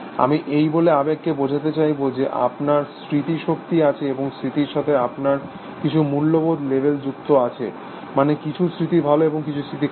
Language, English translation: Bengali, I could try to characterize emotion by saying that, you have memories, and then you have some value, labels attached to memories, that some memories are good; some memories are bad